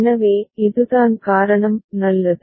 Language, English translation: Tamil, So, this is the reason fine